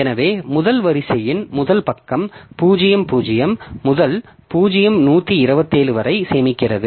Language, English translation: Tamil, So, the first row, first page is storing the first row, 0 to 012